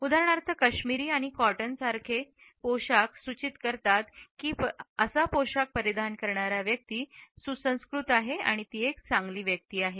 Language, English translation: Marathi, For example, cashmere and cotton suggest that the wearer is sophisticated and also a well to do person